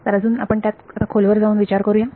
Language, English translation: Marathi, So now let us go a little bit deeper into that